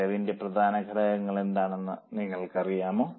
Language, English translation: Malayalam, Do you know what are the important elements of cost